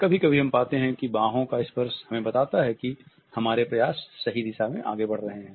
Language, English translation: Hindi, Sometimes we find that a single touch on the forearm tells us that our efforts are moving in the correct direction